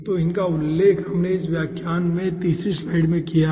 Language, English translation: Hindi, so these we have mention in third slide of this lecture